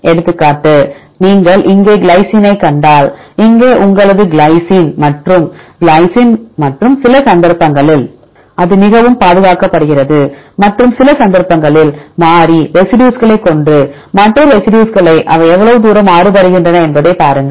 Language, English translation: Tamil, For example: if you see glycine here and if your glycine here and glycine here and some cases it is highly conserved and some cases with the variable residues and look at the other residues how far they are variable